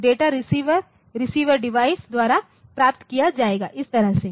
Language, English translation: Hindi, So, data will be received by the receiver receiving device like this